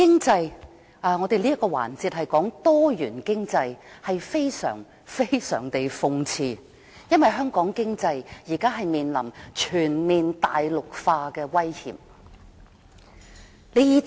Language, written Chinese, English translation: Cantonese, 這個環節是討論多元經濟，但非常諷刺的是，香港經濟現正面臨全面大陸化的威脅。, The theme of this debate session is Diversified Economy but ironically enough Hong Kongs economy is currently under the threat of complete Mainlandization